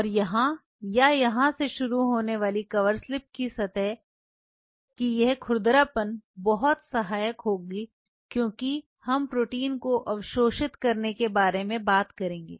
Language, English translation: Hindi, And this roughness of the surface of a cover slip starting from here or here will be very helpful why when will we talk about absorbing the proteins